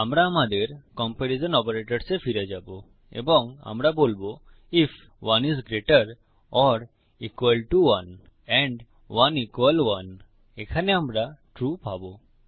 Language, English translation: Bengali, Well go back to our comparison operators and we will say if 1 is greater than 1 or equal to 1 and 1 equal 1, here we will get true